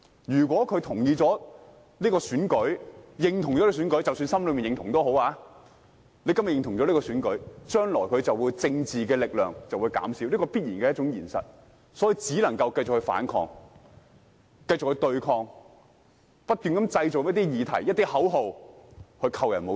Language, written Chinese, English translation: Cantonese, 如果他認同這次選舉，即使只是心裏認同，將來他的政治力量便會減少，這是必然的現實，所以只能繼續反抗、繼續對抗，不斷製造一些議題和口號來扣人帽子。, If he endorses this election even if he keeps his endorsement in his heart his political power will be weakened in the future which is an inevitable fact . That is why he has to keep fighting and resisting as well as finding new issues and slogans to put labels on other people